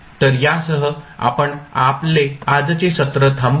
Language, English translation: Marathi, So, with this we close our today’s session